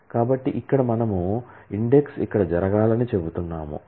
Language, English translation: Telugu, So, here we are saying that the index should happen here